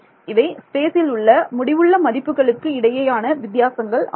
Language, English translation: Tamil, Finite differences so, differences between finite values in space